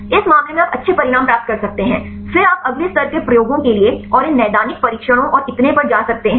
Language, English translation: Hindi, In this case you can get the good results then you can go for the next level of experiments and go for these clinical trials and so on